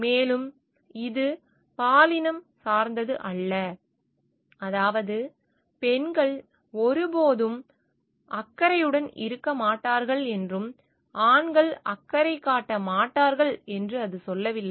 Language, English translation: Tamil, And it is not gender specific; meaning, it does not tell like women will never be caring and males are not